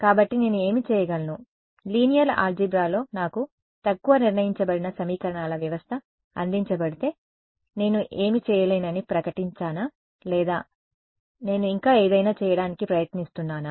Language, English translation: Telugu, So, what I could do is in linear algebra if I am presented with an underdetermined system of equations, do I just declare that I cannot do anything or do I still try to do something